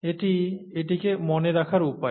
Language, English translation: Bengali, It is the way to remember this